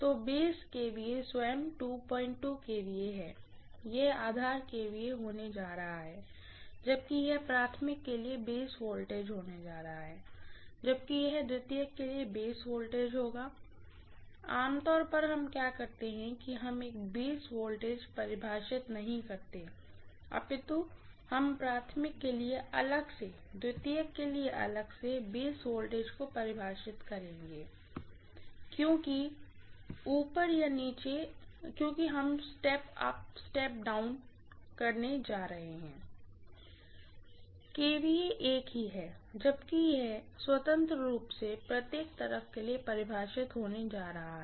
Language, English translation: Hindi, 2 kVA itself, this is going to be base kVA, whereas this is going to be the base voltage for the primary, whereas this will be the base voltage for the secondary, normally what we do is for a transformer, we will not define a single base voltage, we will define the base voltage for the primary separately, for the secondary separately because we are going to step up or step down, kVA is the same, whereas this is going to be defined independently for each of the sides, fine